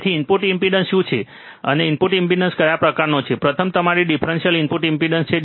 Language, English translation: Gujarati, So, what is input impedance and what kind of input impedance are there, first one is your differential input impedance